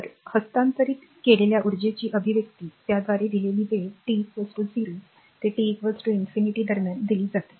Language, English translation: Marathi, So, expression for energy transferred is given by it is given in between time t is equal to 0 to t is equal to infinity